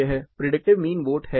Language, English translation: Hindi, This is predicted mean vote